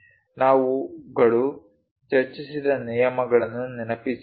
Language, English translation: Kannada, Let us recall our discussed rules